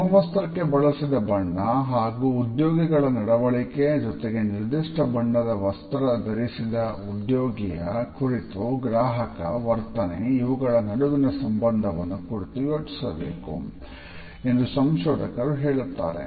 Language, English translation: Kannada, Researchers also lead us to think that there is a certain relationship between the color which is chosen for a uniform and the behavior of the employees as well as the behavior of a customer towards an employee who is dressed in a particular color